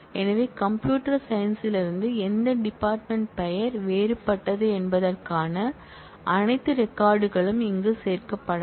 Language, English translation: Tamil, So, all records for which department name is different from computer science will not be included here